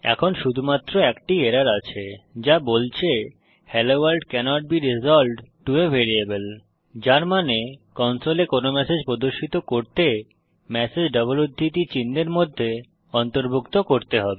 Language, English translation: Bengali, their is only one error now which says hello world cannot be resolved to a variable, which means to display any message on the console the message has to be included in double quotes